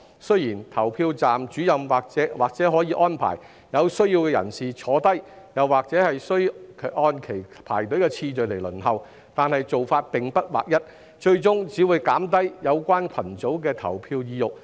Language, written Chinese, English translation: Cantonese, 雖然投票站主任或可安排有需要人士坐下，但仍需按其排隊次序輪候，且做法並不劃一，最終只會減低有關群組的投票意欲。, Though Presiding Officers may arrange persons in need to be seated the voters concerned have to follow the queue and wait for their turn to cast the vote and the practice has not been standardized . This will eventually undermine the desire of the relevant groups to vote